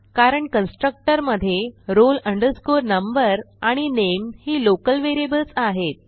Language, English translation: Marathi, This is because in the constructor roll number and name are local variables